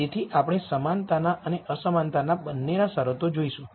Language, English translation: Gujarati, So we going to look at both equality and inequality constraints